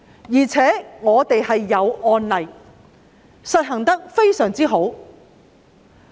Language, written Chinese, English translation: Cantonese, 再者，本地有案例，實行得非常好。, In addition there are local cases of successful implementation